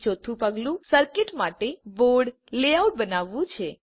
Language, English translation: Gujarati, And fourth step is to create board layout for the circuit